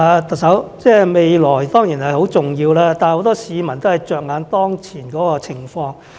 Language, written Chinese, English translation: Cantonese, 特首，未來當然是重要，但很多市民着眼當前的情況。, Chief Executive the future is certainly important but many people are more concerned about the current situation